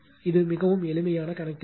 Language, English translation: Tamil, So, it just make this calculation